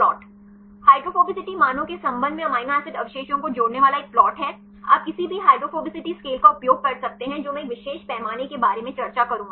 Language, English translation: Hindi, Is a plot connecting amino acid residues with respect to hydrophobicity values, you can use any hydrophobicity scales I will discuss about a particular scale right